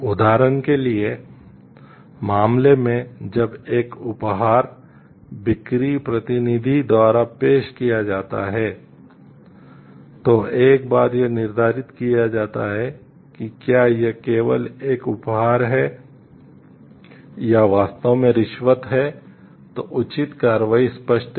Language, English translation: Hindi, For example, in the case, when a gift is offered by a sales representative, once it is determined whether it is simply a gift or is really a bribe then the appropriate action is obvious